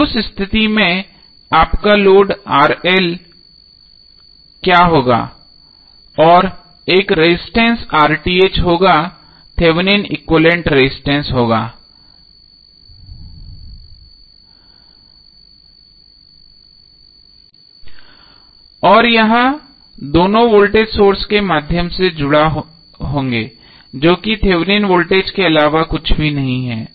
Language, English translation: Hindi, So what will happen in that case the circuit RL this would be your load and there will be one resistance RTh would be the Thevenin equivalent resistance and it would both would be connected through voltage source which is nothing but Thevenin Voltage